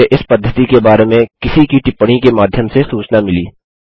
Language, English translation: Hindi, I was informed about this method through a comment someone posted